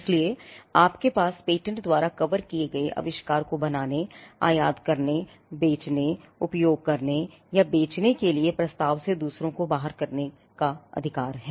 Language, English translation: Hindi, So, there you have a right to exclude others from making, selling, using, offering for sale or for importing the invention that is covered by the patent